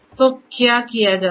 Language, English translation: Hindi, So, what is done